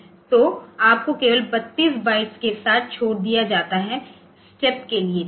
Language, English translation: Hindi, So, you are left with only 32 bytes for the step, ok